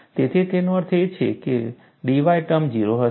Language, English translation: Gujarati, So, that means, the d y term will be 0